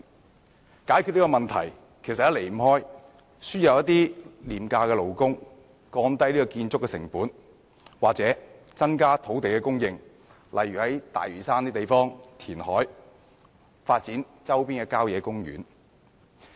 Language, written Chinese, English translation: Cantonese, 要解決這個問題，方法不外乎輸入廉價勞工、降低建築成本或增加土地供應，例如在大嶼山填海和發展周邊的郊野公園。, Solutions to this problem are basically importing cheap labour reducing construction costs or increasing land supply such as carrying out reclamation works on Lantau Island and developing nearby country parks